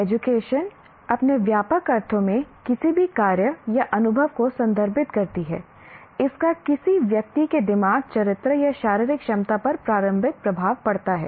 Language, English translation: Hindi, Education in its broad sense refers to any act or experience that has formative effect on the mind, character or physical ability of an individual